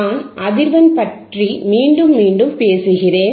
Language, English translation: Tamil, That is why we talk about frequency, frequency, frequency